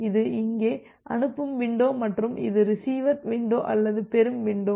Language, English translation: Tamil, So, this is the sending window here and this is the receiver window or the receiving window